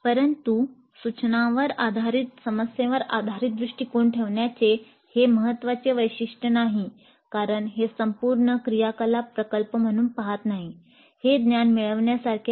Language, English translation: Marathi, But this is not a key feature of problem based approach to instruction because it doesn't look at the whole activity as a project